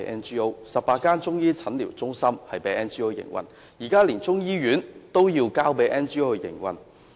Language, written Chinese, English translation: Cantonese, 香港有18間中醫診療中心已交給 NGO 營運，現時連中醫醫院也要交給 NGO 營運。, The Government has already handed over the operation of 18 Chinese medicine clinics to NGOs and now even the operation of the Chinese medicine hospital is to be taken up by NGO